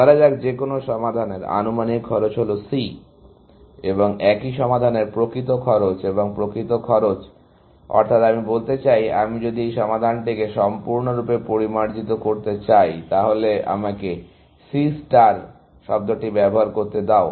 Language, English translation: Bengali, Let us say, the estimated cost of any solution is C, and the actual cost of the same solution, and by actual cost, I mean, if I want to refine that solution completely, let me use the term; C star